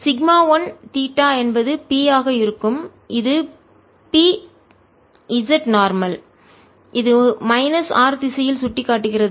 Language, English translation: Tamil, so sigma one theta is going to be p, which is p z times normal, which is pointing in the minus r direction